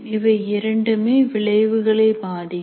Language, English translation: Tamil, Both ways the outcomes are affected